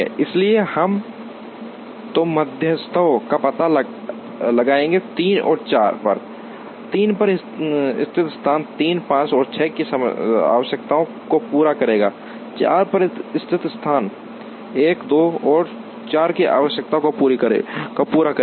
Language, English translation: Hindi, So, we would now end up locating two medians, which are at 3 and 4, the location at 3 will meet the requirements of 3 5 and 6, the location at 4, would meet the requirements of 1 2 and 4